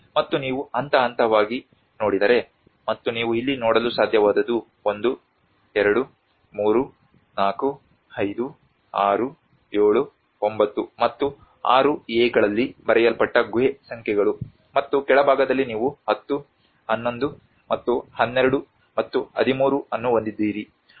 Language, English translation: Kannada, \ \ And if you look at the phase wise, and what you are able to see here is the cave numbers which has been written on 1, 2, 3, 4, 5, 6, 7, 9 and 6a and on the bottom side you have 10, 11 and 12 and 13